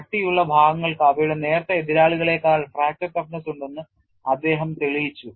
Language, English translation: Malayalam, He demonstrated that thick sections have markedly lower fracture toughness than their thin counterparts